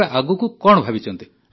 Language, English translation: Odia, What are you thinking of next